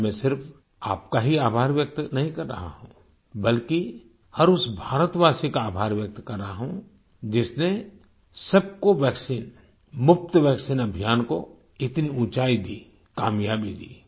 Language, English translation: Hindi, Today, I am gratefully expressing thanks, not just to you but to every Bharatvasi, every Indian who raised the 'Sabko vaccine Muft vaccine' campaign to such lofty heights of success